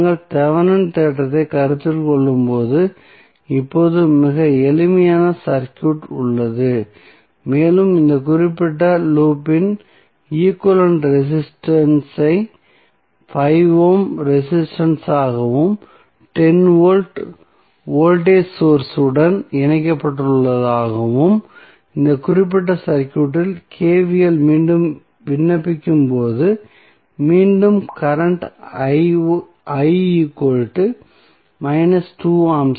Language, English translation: Tamil, So, we have now very simple circuit when we consider the Thevenin theorem and we get the equivalent resistance of this particular loop as 5 ohm plus 10 ohm volt voltage source is connected when you apply again the KVL in this particular circuit you will get again current i x minus 2 ampere